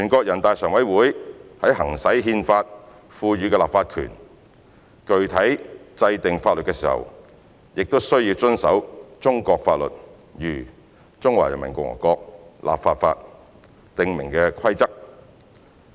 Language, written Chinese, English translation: Cantonese, 人大常委會在行使《憲法》賦予的立法權，具體制定法律時，亦須遵守中國法律如《中華人民共和國立法法》訂明的規則。, When exercising its legislative power conferred by the Constitution to enact laws NPCSC also has to abide by the rules stipulated in Chinese laws such as the Legislation Law of the Peoples Republic of China